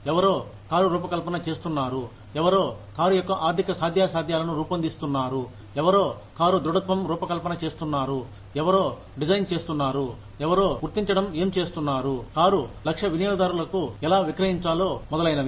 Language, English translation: Telugu, Somebody is designing the car, somebody is designing the economic feasibility of the car, somebody is designing the sturdiness of the car, somebody is designing, somebody is figuring out, how to sell the car, to the target customers, etc